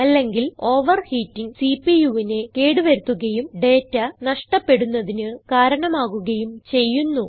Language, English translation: Malayalam, Otherwise, overheating can cause damage to the CPU, often leading to data loss